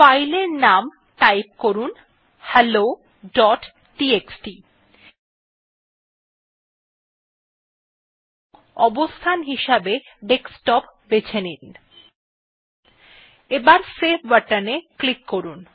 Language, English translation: Bengali, So let me type the name as hello.txt and for location I select it as Desktop and click on save button